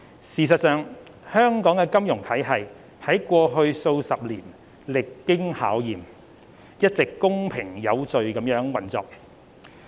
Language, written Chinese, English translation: Cantonese, 事實上，香港的金融體系在過去數十年歷經考驗，一直公平有序地運作。, In fact the financial system of Hong Kong has withstood crises over the years and has been operating in a fair and orderly manner